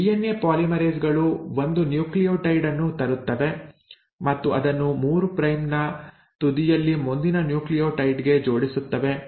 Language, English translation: Kannada, So these DNA polymerases will bring in 1 nucleotide and attach it to the next nucleotide in the 3 prime end